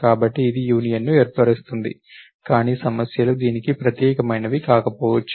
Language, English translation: Telugu, So, it is forms the union, but a problems is it may not have unique